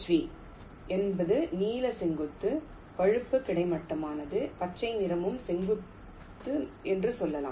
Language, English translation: Tamil, v h v is, lets say, blue is vertical, brown is horizontal, green is also vertical